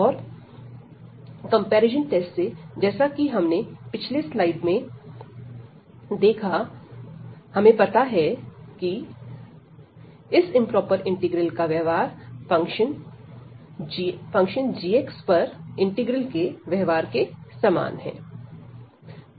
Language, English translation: Hindi, And then from the comparison test, we have just reviewed in previous slides, we know that the behavior of this integral this improper integral will be the same as the behavior of the integral over this g x function